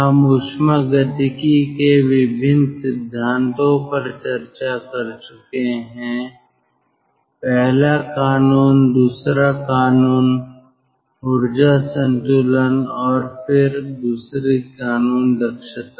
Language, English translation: Hindi, we have gone through different principles of thermodynamics: first law, second law, exergy exergy balance and then second law, efficiency